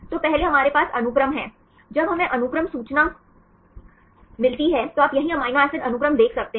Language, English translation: Hindi, So, first we have the sequence, when we get the sequence information right you can see the amino acid sequence here right